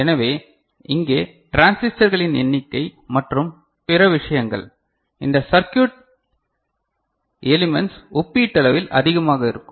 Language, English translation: Tamil, So, here the number of transistors and other things, these circuit elements will be relatively more